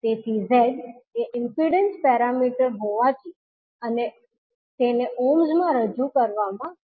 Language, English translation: Gujarati, So, since the Z is impedance parameter, it will be represented in ohms